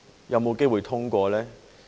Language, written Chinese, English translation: Cantonese, 有否機會通過？, Is there a chance for it to be passed?